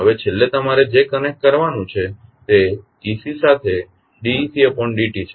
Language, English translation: Gujarati, Now, finally what you have to connect is ec dot with ec